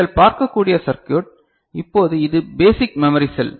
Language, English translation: Tamil, So, the circuit that you can see, now this is the basic memory cell ok